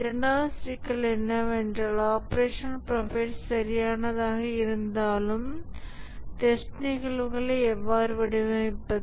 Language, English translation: Tamil, The second problem is that even if we have the operational profile correct, how do we design the test cases